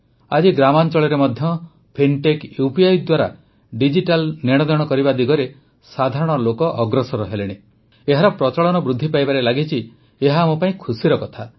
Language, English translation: Odia, It is matter of delight for us that even in villages, the common person is getting connected in the direction of digital transactions through fintech UPI… its prevalence has begun increasing